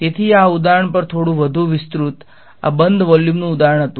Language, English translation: Gujarati, So, elaborating a little bit more on this example, this was an example of a closed volume